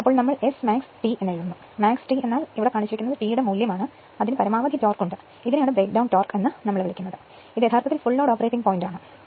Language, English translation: Malayalam, So, we write the S max T the max T means this is the value of T for which the it has maximum torque and this is called your breakdown torque and this is actually some point here full load operating point